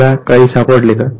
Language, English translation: Marathi, Did you find anything